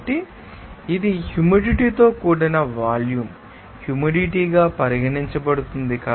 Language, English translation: Telugu, So, it will be regarded as that humid volume, humid heat